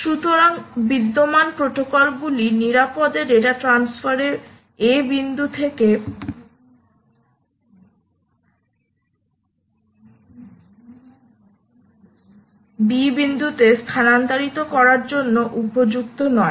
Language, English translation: Bengali, here, therefore, the existing protocols are not suitable to ensure that securely data can be transferred from point a to point b without the human in the loop